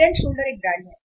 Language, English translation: Hindi, Head and Shoulder is the one brand